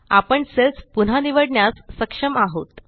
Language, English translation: Marathi, We are able to select the cells again